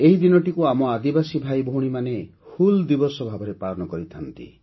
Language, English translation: Odia, Our tribal brothers and sisters celebrate this day as ‘Hool Diwas’